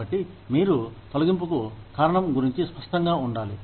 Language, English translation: Telugu, So, you need to be clear, about the reason, for the layoff